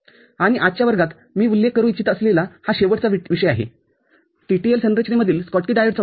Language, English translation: Marathi, And the last topic that I would like to just mention here in today’s class is the use of Schottky diode in the TTL configuration, ok